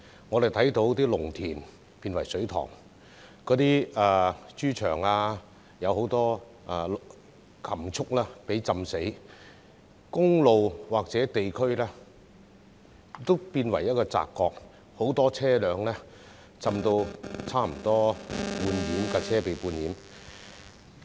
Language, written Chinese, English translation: Cantonese, 我們看到農田變成水塘、豬場水浸，很多禽畜被淹死，公路及某些地區變為澤國，而很多車輛更差不多被半淹。, We saw farmland become ponds pig farms flooded many livestock drowned highways and certain areas become swamps and many vehicles almost half submerged